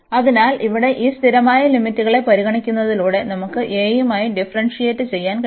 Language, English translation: Malayalam, So, here treating these constant limits, we can just differentiate with respect to a